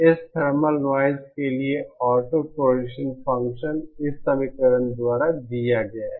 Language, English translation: Hindi, Autocorrelation function for this thermal noise is given by this equation